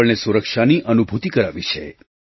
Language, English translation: Gujarati, It has bestowed upon us a sense of security